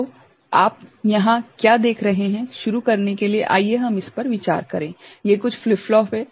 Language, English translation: Hindi, So, what you see over here, to begin with, let us consider that this is these are some flip flops